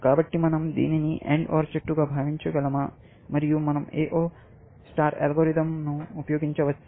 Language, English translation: Telugu, So, can we think of it as an AND OR tree, and can we use A0 algorithms